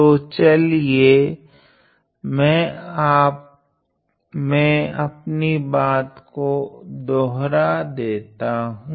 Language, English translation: Hindi, So, let me just repeat what I just said